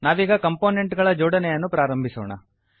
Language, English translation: Kannada, Let us start with the interconnection of components